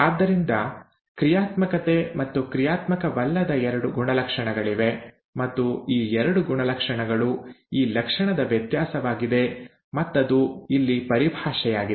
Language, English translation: Kannada, Therefore there are two traits, the functionality and non functionality and these two traits are variance of this character and that is the terminology here